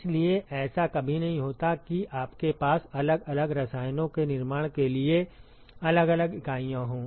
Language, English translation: Hindi, So, it is never the case that you have individual units for manufacturing individual chemicals